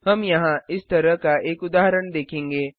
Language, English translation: Hindi, We can see such an example here